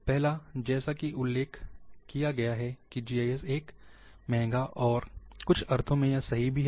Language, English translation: Hindi, First one, it is mentioned that GIS is expensive,to some sense, it is correct also